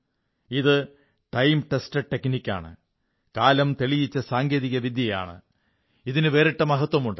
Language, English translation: Malayalam, These are time tested techniques, which have their own distinct significance